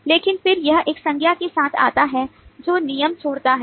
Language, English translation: Hindi, but then it comes with a noun which is leave rules